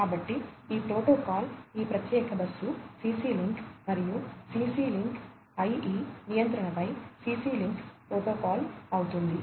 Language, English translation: Telugu, So, this protocol would be CC link protocol over here over this particular bus, CC link and CC link IE control